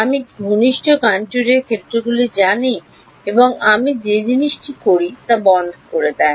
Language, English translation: Bengali, Do I know the fields on a close contour and closing the object I do